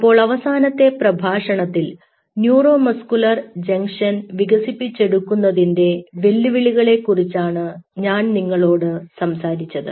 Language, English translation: Malayalam, so in the last lecture i talked to you about the challenges of developing a neuromuscular junction